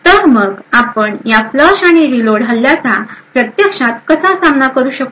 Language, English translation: Marathi, So how we would actually counter this flush and reload attack